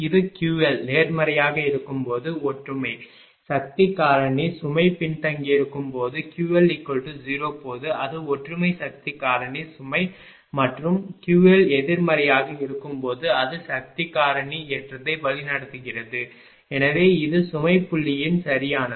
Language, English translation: Tamil, This is unity when Q L is positive it is lagging power factor load, when Q L is 0, it is unity power factor load and when Q L negative, it is leading power factor load right so, this is for the load point of view right